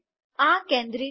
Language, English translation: Gujarati, This is not centered